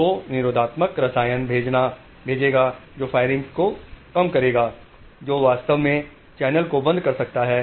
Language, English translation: Hindi, So, the inhibitory will send a chemical which will decrease the firing which may actually close the channel